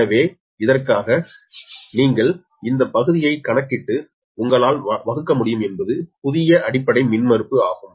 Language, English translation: Tamil, so for which you can compute this part right and divided by you are the new base impedance, right now